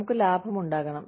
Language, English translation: Malayalam, We have to make profit